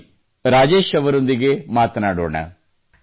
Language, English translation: Kannada, So let's talk to Rajesh ji